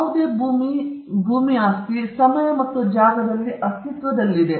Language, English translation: Kannada, Any landed property exists in time and space